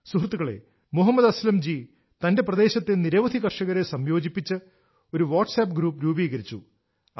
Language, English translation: Malayalam, Friends, Mohammad Aslam Ji has made a Whatsapp group comprising several farmers from his area